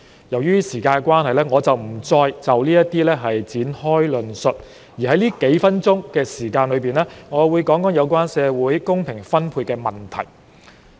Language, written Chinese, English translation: Cantonese, 由於時間關係，我不再就這些方面展開論述，我會在這數分鐘談談有關社會公平分配的問題。, Given the time limit I am not going to elaborate on these areas but will instead spend these few minutes talking about the issue concerning equitable allocation of resources in society